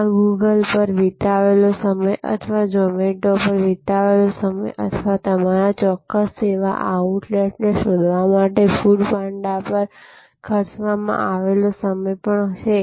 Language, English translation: Gujarati, So, this is also the time spent on Google or the time spent on Zomato or the spent on food Panda to search out your particular service outlet is the search cost